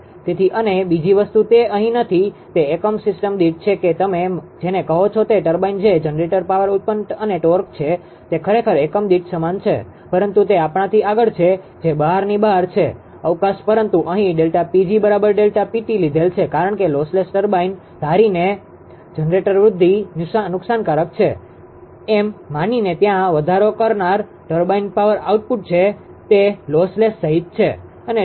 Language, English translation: Gujarati, So, and another thing is there that is not here, that is in power unit system that you are what you call that turbine that generator power output and torque, it is actually same in per unit, but those are beyond us those are beyond the scope, but here that delta P g is equal to delta P to have taken because, assuming the lossless ah turbine there is an incremental turbine power output assuming generator incremental loss is negligible, that is lossless and delta P L is the load increment